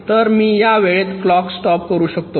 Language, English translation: Marathi, if this state is there, then i will stop the clock